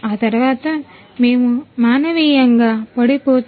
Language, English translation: Telugu, After that we go for manual powder coating